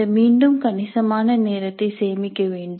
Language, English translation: Tamil, This would again save considerable time